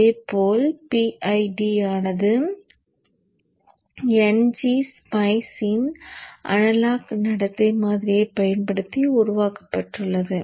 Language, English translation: Tamil, Likewise PID is also built using the analog behavioral model of NG Spice